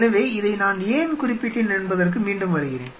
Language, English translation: Tamil, So, coming back, why I mentioned this